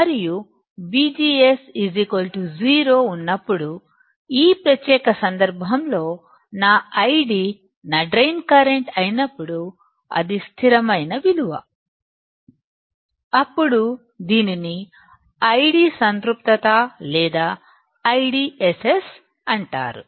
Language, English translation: Telugu, And in this particular case when V G S equals to 0, , when my id that is my drain current which is a constant value; then it is called I D Saturation or I DSS